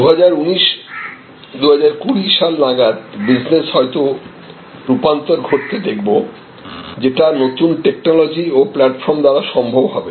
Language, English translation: Bengali, By 2019, 2020 we will see a wide scale transformation of business processes, which are enabled by new technology and new platform